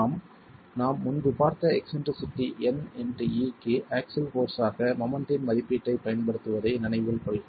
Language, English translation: Tamil, We are, mind you, using the estimate of moment as axial force into the eccentricity, n into e that we have seen earlier